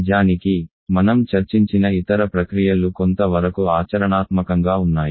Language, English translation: Telugu, In fact, the other processes that you have discussed all are in practical use to some degree